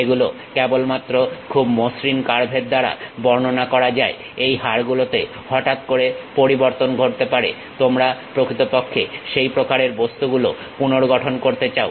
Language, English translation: Bengali, These are not just described by very smooth curves, there might be sudden variation happens on these bones, you want to really reconstruct such kind of objects